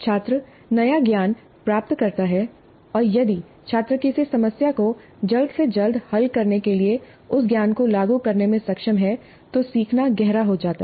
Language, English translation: Hindi, The student acquires the new knowledge and if the student is able to apply that knowledge to solve a problem as quickly as possible, the learning becomes deeper